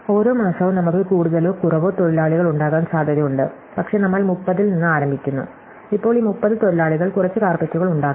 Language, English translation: Malayalam, So, each month potentially we have more or less workers, but we start with 30, now these 30 workers will make some number of carpets